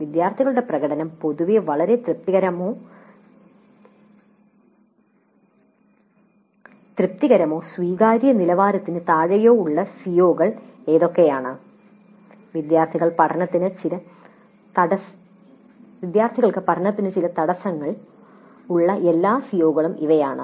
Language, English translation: Malayalam, What are the COs with regard to which the student performance is in general very satisfactory or satisfactory or below acceptable levels which are all the COs where the students have certain bottlenecks towards learning